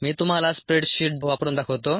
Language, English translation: Marathi, let me show it to you using a spread sheet